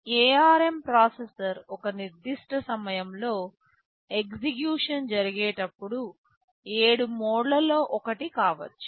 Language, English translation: Telugu, The ARM processor during execution at a given time, can be in one of 7 modes